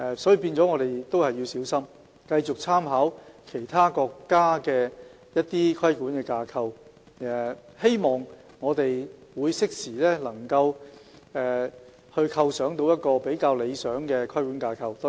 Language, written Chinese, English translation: Cantonese, 因此，我們要小心繼續參考其他國家的規管架構，希望能適時構想到一個比較理想的規管架構。, Therefore we shall continue to cautiously make reference to the regulatory frameworks in other countries and hope that a more satisfactory one could be formulated in due course